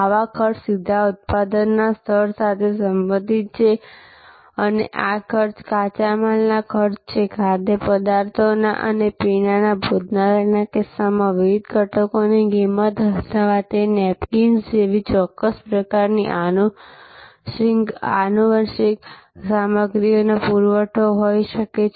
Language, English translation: Gujarati, So, they are therefore, these costs are directly related to the level of production and these costs are costs of raw material, cost of different ingredients in the case of a food and beverage restaurant or it could be certain types of ancillary stuff supply like napkins and so on, etc